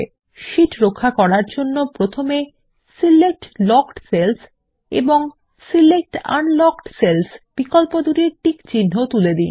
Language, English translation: Bengali, To protect the sheet, first, un check the options Select Locked cells and Select Unlocked cells